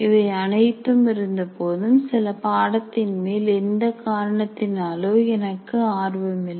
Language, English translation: Tamil, And sometimes in spite of all this, some subjects I am not interested for whatever reason